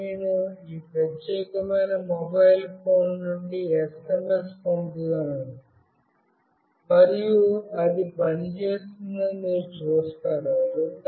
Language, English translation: Telugu, First I will send SMS from this particular mobile phone, and you see that it will work